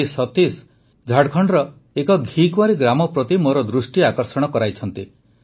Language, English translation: Odia, Satish ji has drawn my attention to an Aloe Vera Village in Jharkhand